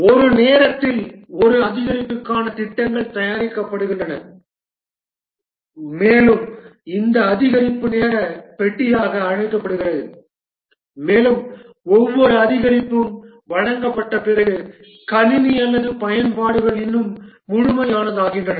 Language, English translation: Tamil, The plans are made for one increment at a time and this increment is called as a time box and after each increment is delivered the system or the application becomes more complete